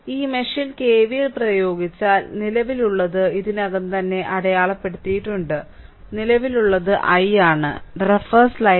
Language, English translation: Malayalam, So, if you apply KVL in this mesh the current is I already I have marked it, but I am just making it again, the current is i